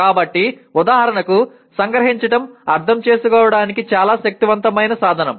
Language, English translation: Telugu, So, for example summarizing is a very powerful tool to understand